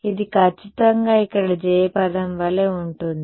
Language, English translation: Telugu, This is exactly like the j term over here